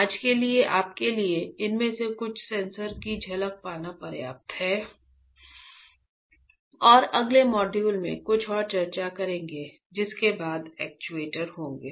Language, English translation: Hindi, For today I think this is enough for you to get the glimpse of some of these sensors and I will discuss a few more in the next module followed by the actuators